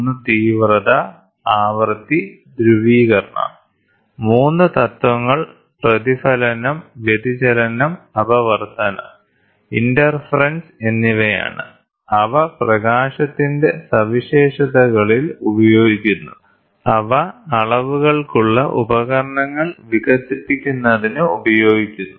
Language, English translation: Malayalam, One is intensity, frequency and polarization; and the 3 principles is the reflection, diffraction, refraction and interference are some of the properties, which are used in properties of light, which are used for developing instruments for measurements